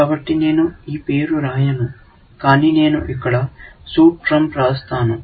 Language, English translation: Telugu, So, I will not write this name and all, but what I will write here is that the suit is trump